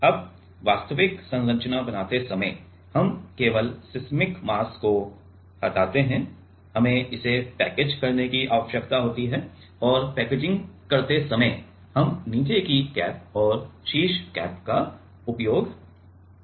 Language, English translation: Hindi, Now, while making the actual structure, while making the actual structure we just delete it seismic mass, we need to package it and in while packaging, we use a bottom cap and the top cap